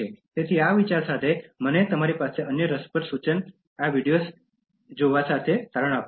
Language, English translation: Gujarati, So, with this thought, let me conclude this with another interesting suggestion to you to watch these videos